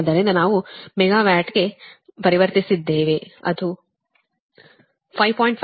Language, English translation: Kannada, so we have converted to megawatt